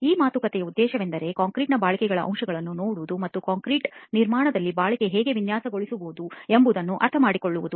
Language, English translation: Kannada, The purpose of this talk is to look at aspects of durability of concrete and try and understand how durability can be actually designed for in concrete construction